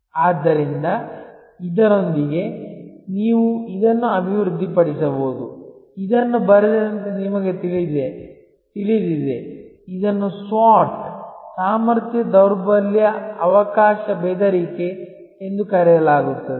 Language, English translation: Kannada, So, with that you can develop this, this is you know on top as is it written, it is called SWOT Strength Weakness Opportunity Threat